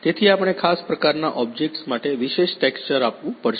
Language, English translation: Gujarati, So, we have to give the textures particular textures for the particular objects